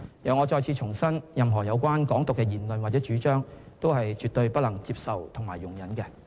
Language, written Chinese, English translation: Cantonese, 我再次重申，任何有關"港獨"的言論或主張，都是絕對不能接受和容忍的。, Let me reiterate again that any remarks or advocacy relating to Hong Kong independence are absolutely unacceptable and intolerable